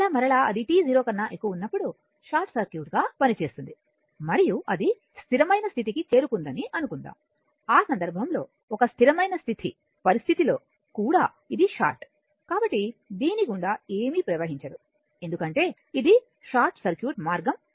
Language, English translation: Telugu, Then again your then again it will act as your what you call as short circuit at t greater than 0 and assume that it is it is reached to a steady state, a steady state condition right in that case also that it is short nothing will be flowing through this because this is this is a short circuit path